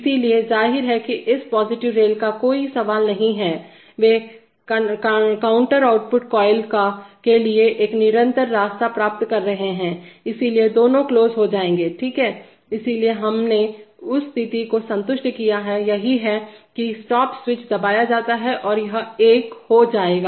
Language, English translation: Hindi, So therefore, obviously there is no question of this positive rail, they are getting a continuous path to the contour output coil so both will be off, fine, so we have satisfied that condition, that is the stop switch is pressed it is going to be 1